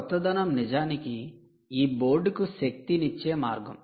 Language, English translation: Telugu, novelty, indeed, is powering this board